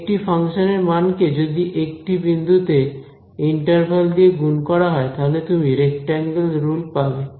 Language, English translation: Bengali, So, you have got the value of a function at one point multiplied by the interval that is your rectangle rule ok